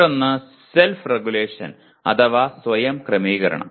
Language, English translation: Malayalam, The other is self regulation